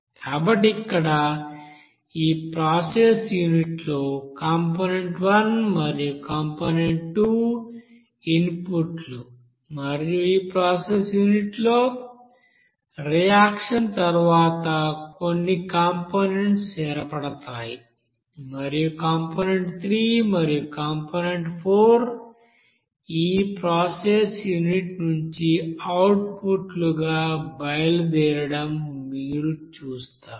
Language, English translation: Telugu, So here in this process unit, the component one and component two are coming as input in this process in unit and after reaction in this process unit, you will see that there will be some formation of components and you will see that components will be leaving from this process unit as component three and component four as output